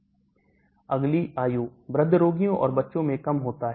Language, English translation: Hindi, Next age, reduced in aged patients and children